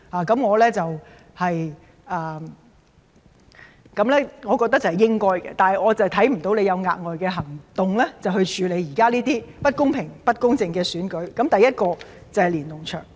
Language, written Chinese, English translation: Cantonese, 但是，我是看不到他有甚麼額外行動以處理現時這種不公平、不公正的選舉，第一點是連儂牆。, Nevertheless I have not seen any extra actions taken by him to deal with such an unfair and unjust election . Thus the first point is about the Lennon Walls